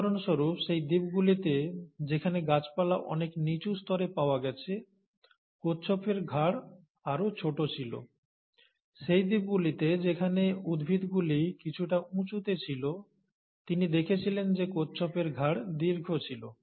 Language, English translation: Bengali, For example, in those islands where the vegetations were found at a much lower level, the neck of the tortoises were smaller, while in those islands where the vegetations were slightly at a higher level at a higher height, you found, or he found rather that the tortoises had a longer neck